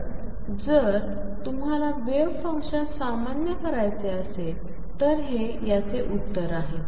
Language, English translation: Marathi, So, this is the answer for this if you want to normalize the wave function right